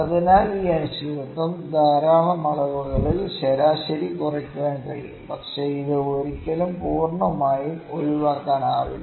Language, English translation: Malayalam, So, the this uncertainty cab be reduced by average in lots of measurements, but it can never can be totally eliminated